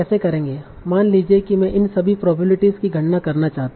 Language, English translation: Hindi, So suppose I want to compute all these probabilities